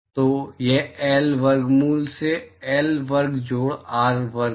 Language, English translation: Hindi, So, it is L by square root of L square plus r square